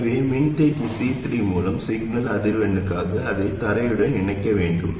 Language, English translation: Tamil, So we have to connect it to ground for signal frequencies through a capacitor C3